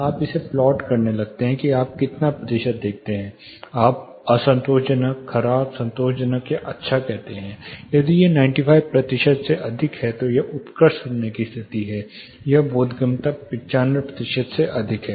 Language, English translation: Hindi, You start plotting this you see how much percentage, you say unsatisfactory poor satisfactory or good or if it is more than 95 percentages, it is an excellent listening condition; that is intelligibility is more than 95 percent